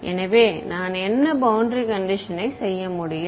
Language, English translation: Tamil, So, what boundary condition can I do